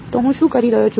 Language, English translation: Gujarati, So, what I am doing